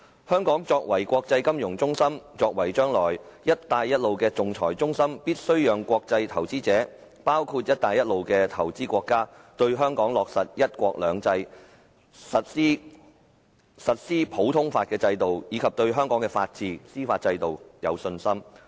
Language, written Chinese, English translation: Cantonese, 香港作為國際金融中心，作為將來"一帶一路"的仲裁中心，必須讓國際投資者，包括"一帶一路"的投資國家對香港落實"一國兩制"、實施普通法制度及對香港的法治、司法制度有信心。, Hong Kong is an international financial centre and it will be the hub of international arbitration under the Belt and Road Initiative . Hence it must ensure that international investors including investing countries under the Belt and Road Initiative will have confidence in the implementation of one country two systems and the common law system in Hong Kong as well as the rule of law and judicial system in Hong Kong